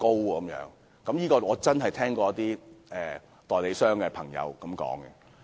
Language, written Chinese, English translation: Cantonese, 我真的聽過一位代理商朋友這樣說。, I have indeed heard such comments from an acquaintance of mine who is an agent